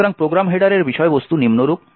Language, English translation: Bengali, So, the contents of the program header are as follows